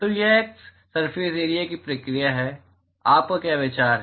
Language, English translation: Hindi, So, it is a surface area process what is your thought